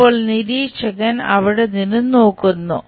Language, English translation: Malayalam, Now, the observer looks from there